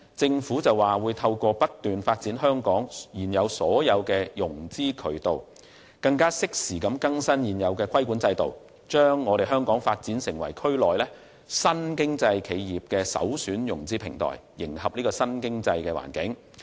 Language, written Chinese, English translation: Cantonese, 政府表示會透過不斷發展香港現有的種種融資渠道，適時更新現時的規管制度，將香港發展成為區內新經濟企業的首選融資平台，以迎合新經濟環境。, According to the Government through continuous development of various existing financing channels in Hong Kong and timely updating of the regulatory regime it will develop Hong Kong into a premier financing platform for new business enterprises in the region so as to cater for the new economic environment